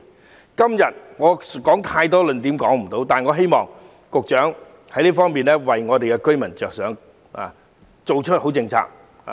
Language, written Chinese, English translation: Cantonese, 我今天無法列舉太多論點，但希望局長多為寮屋居民着想，制訂良好政策。, It is impossible for me to put forth too many arguments today but I do hope that the Secretary will make more efforts for the sake of those squatter dwellers and draw up good policies